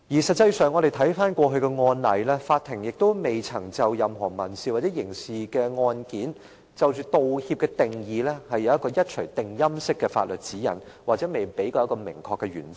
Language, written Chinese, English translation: Cantonese, 實際上，我們回顧過去的案例，法庭亦未曾在任何民事或刑事案件，就着"道歉"的定義，提出一錘定音式的法律指引，也未曾提供一個明確的原則。, Actually after reviewing the cases we find that the court has not provided in any civil or criminal cases ultimate legal guidelines or specific principles with regard to the definition of apology as reference